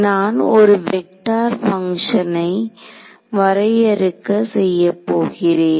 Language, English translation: Tamil, So, I am going to define a vector function T